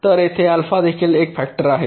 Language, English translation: Marathi, so alpha is also a factor here